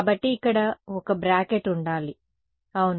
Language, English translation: Telugu, So, there should be a bracket over here yeah